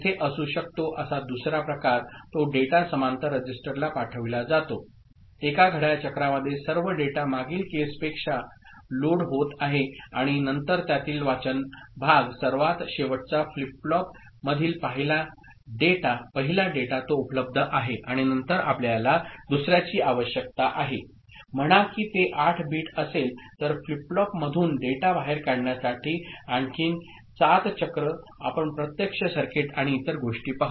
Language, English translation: Marathi, The other type that can be there that data is sent to the register parallel; in one clock cycle all the data is getting loaded unlike the previous case and then the the reading part of it, the first data that is in the endmost flip flop that is available and then you need another, say if it is 8 bit, so another 7 cycle to push data out of the flip flops we shall see actual circuit and other things, we shall discuss elaborately later with examples